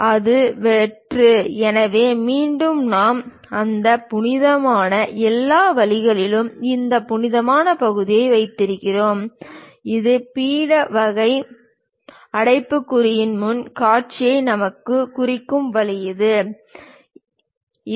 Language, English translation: Tamil, And it is hollow, so again we have that hollow, all the way we have this hollow portion which goes all the way down; this is the way we represent front view of this pedestal kind of bracket